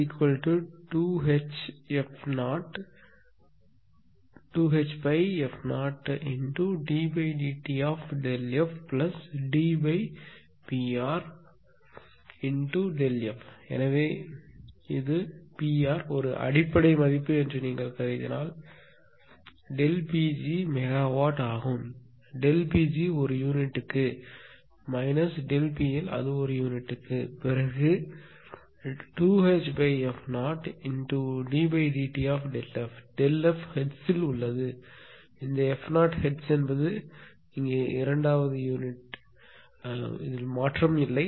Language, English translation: Tamil, So, it if you assume this is a base value then delta P g upon it is megawatt of course, delta P g upon delta it is in per unit minus delta P L it is also per unit then 2 H upon f 0 d d upon this delta f is in hertz right this delta remember hertz f 0 is hertz 18 second here no unit change it is in hertz